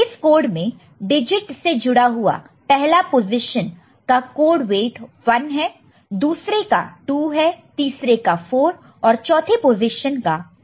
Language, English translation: Hindi, So, the first position is associated with the digit will be having a code weight of 1, second position 2, third position 4, and the fourth position is having a weight of 2